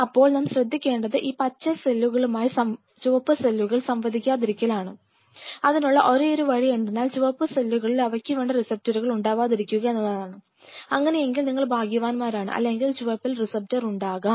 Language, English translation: Malayalam, So, how I ensure that the growth factor received by green which I am providing from outside out here does not interact with the red, there is only one possibility either red does not have a receptor for it then you are very lucky or red will have receptor for it